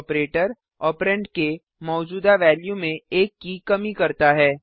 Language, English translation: Hindi, The operator decreases the existing value of the operand by one